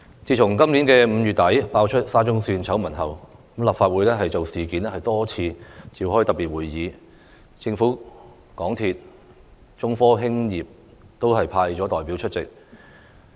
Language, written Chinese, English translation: Cantonese, 自今年5月底爆出沙中線醜聞後，立法會就事件多次召開特別會議，政府、港鐵公司和中科興業有限公司都有派代表出席。, Since the exposure of the SCL scandal at the end of May this year the Legislative Council has held a number of special meetings on the incident which were attended by representatives of the Government MTRCL and China Technology Corporation Limited